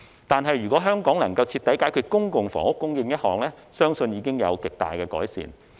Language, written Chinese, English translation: Cantonese, 但是，如果香港能夠徹底解決公共房屋供應問題，相信貧富懸殊情況已經會有極大的改善。, Yet if Hong Kong can solve the public housing supply problem completely it is believed that the wealth disparity problem can be significantly improved